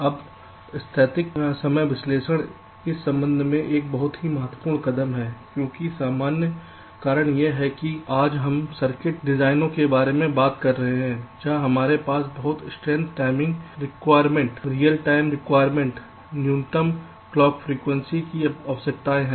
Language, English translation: Hindi, static timing analysis is a very important step in this respect because of the simple reason is that today we are talking about circuit designs where we have very stringent timing requirements real time requirements, minimum clock frequency requirements, so on